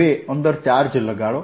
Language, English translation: Gujarati, now put a charge inside